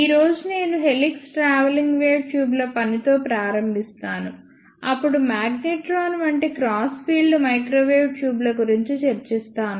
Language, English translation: Telugu, Today I will start with working of helix travelling wave tubes, then I will discuss the cross field microwave tubes such as magnetron